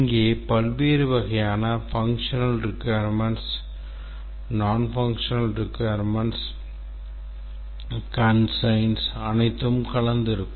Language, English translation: Tamil, Here various types of functional, non functional requirements, constraints are all mixed up